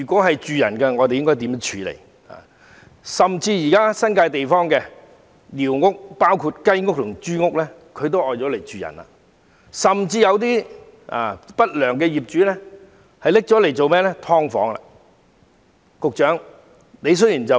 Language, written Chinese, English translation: Cantonese, 須知道，現時甚至連新界地區的一些雞屋和豬屋也被人用作居所，更有不良業主將該等寮屋改作"劏房"出租。, It should be noted that even some chicken sheds and pigsties in the New Territories are being used as dwellings nowadays and some unscrupulous owners have gone so far as to convert these squatter huts into subdivided units for lease